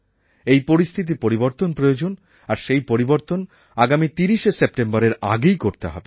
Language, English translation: Bengali, And this has to change before 30th September